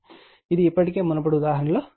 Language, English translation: Telugu, This already we have shown it previous example